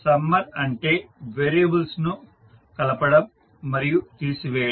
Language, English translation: Telugu, Summer means the addition and subtraction of variables